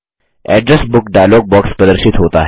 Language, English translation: Hindi, The Address Book dialog box appears